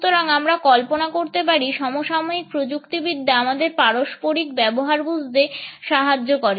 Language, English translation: Bengali, So, we can imagine the contemporary impact of technology in our understanding of interpersonal behaviour